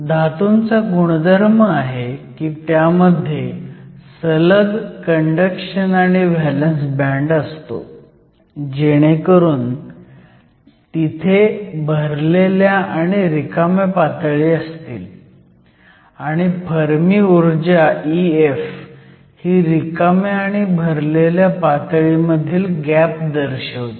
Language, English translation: Marathi, So, metals are characterized by having a continuous valence and the conduction band so that, they are filled an empty states and E F that is the Fermi energy, represents the gap between the filled and empty state